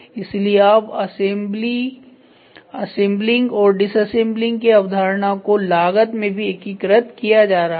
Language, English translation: Hindi, So, now the concept of assembling and disassembling is getting integrated heavily into costing also